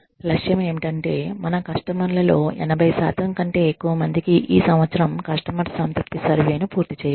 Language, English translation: Telugu, The target is that, more than 80% of our customers, complete a customer satisfaction survey, this year